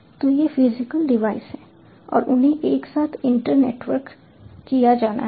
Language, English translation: Hindi, so these are the physical devices and they have to be internetworked together